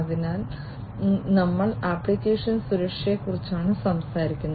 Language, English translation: Malayalam, So, we are talking about application security